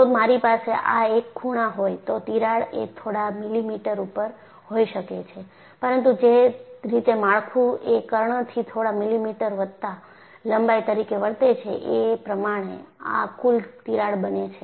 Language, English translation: Gujarati, If I have this on one of the corners, the crack may be a few millimeters, but that totalcrack, the way it will behave structurally would be few millimeters plus length of this diagonal